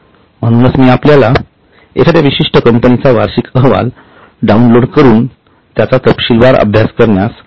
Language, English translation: Marathi, So, I had told you to download annual report of one particular company and go through it in detail